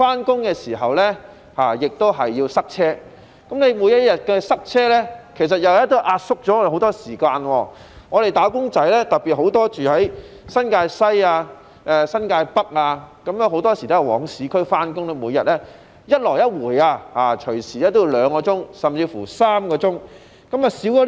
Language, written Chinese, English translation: Cantonese, 上班時亦要面對交通擠塞，每天要經歷的交通擠塞又壓縮了我們的時間，特別是居於新界西和新界北的"打工仔"，很多時候要前往市區上班，每天來回動輒也需要2小時甚至3小時。, When we go to work we have to put up with traffic congestion . The fact that we get stuck in traffic jam every day has further compressed our time . In particular wage earners living in New Territories West and New Territories North often have to travel to the urban area for work and they have to spend two or even three hours each day commuting to and from work